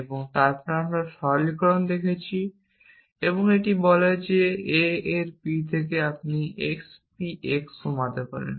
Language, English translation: Bengali, You can p of a and then we saw generalization it says that from p of a you can reduce the x p x